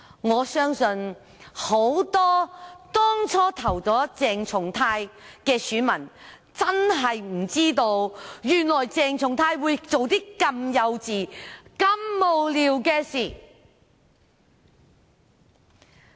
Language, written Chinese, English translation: Cantonese, 我相信很多當初投票給鄭松泰議員的選民，真的不知道原來鄭松泰議員會做這麼幼稚和無聊的事。, I believe voters who voted for Dr CHENG Chung - tai did not know he would do something this childish and nonsensical